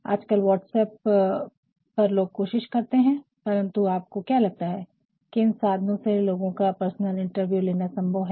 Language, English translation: Hindi, Nowadays, on WhatsApp also people are trying, but then do you think that is it possibleto conduct personal interviews over all these devices